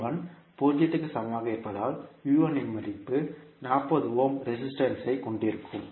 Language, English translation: Tamil, Since, I1 is equal to 0, the value of V1 would be across again the 40 ohm resistance